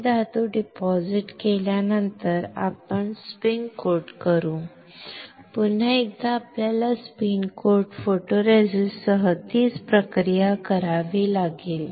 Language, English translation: Marathi, After depositing this metal we will spin coat, once again we have to do the same process with spin coat photoresist